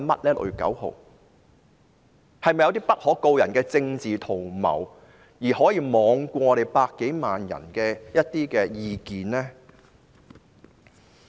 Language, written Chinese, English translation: Cantonese, 是否有些不可告人的政治圖謀，讓他們罔顧百多萬人的意見？, Were there some political plots that could not be disclosed such that they ignored the views of more than 1 million people?